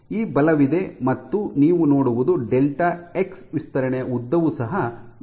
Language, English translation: Kannada, So, this force is there and you see that this length you will have an extension delta x is your stretch